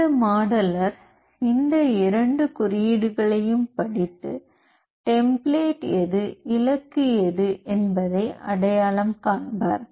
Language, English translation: Tamil, So, that modeller will read these two codes and identify which is the template and which is the target